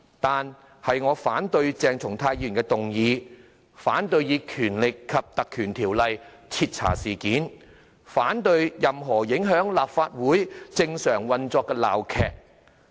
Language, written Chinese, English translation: Cantonese, 不過，我反對鄭松泰議員的議案；反對引用《條例》徹查事件；反對任何影響立法會正常運作的鬧劇。, That said I reject Dr CHENG Chung - tais motion; reject invoking the Ordinance for initiating an inquiry; reject any farce that hinders the Legislative Councils normal operation